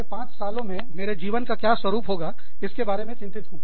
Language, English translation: Hindi, I am worried about, how my life will shape up, in the next five years